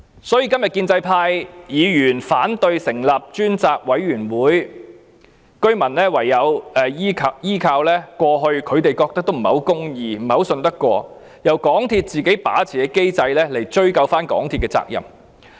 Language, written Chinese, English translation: Cantonese, 所以，今天建制派議員反對成立專責委員會，居民唯有依靠過去他們覺得不太公義、不太值得相信，由港鐵公司自己控制的機制來追究港鐵公司的責任。, Therefore when the pro - establishment Members oppose the setting up of a select committee today the residents can only rely on the mechanism which is not at all fair and not too trustworthy one which is controlled by MTRCL to pursue the responsibility of MTRCL